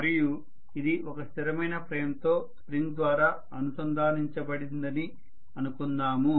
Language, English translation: Telugu, And let us say this is connected to a frame which is a fixed frame through a spring, fine